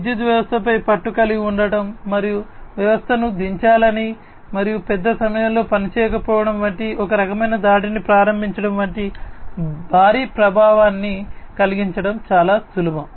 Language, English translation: Telugu, It is very easy for one to have a grip of the power system and cause a huge impact like you know having a you know launching some kind of attack which is going to bring the system down and having a large downtime, right